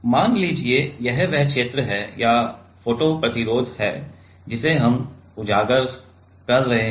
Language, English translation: Hindi, Let us say this is the region or the photo resist what we are exposing